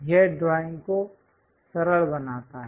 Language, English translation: Hindi, It simplifies the drawing